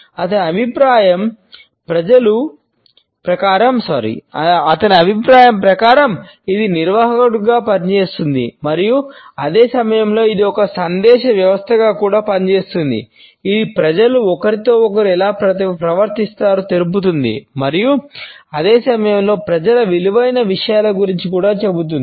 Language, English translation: Telugu, In his opinion it acts as an organizer and at the same time it also acts as a message system it reveals how people treat each other and at the same time it also tells us about the things which people value